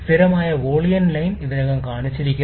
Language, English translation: Malayalam, Constant volume line is already shown